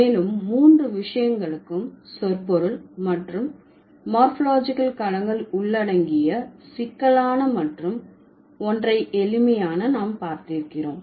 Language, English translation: Tamil, And we have seen the complexity and the simplicity that involves the semantic and the morphological domains for all the three things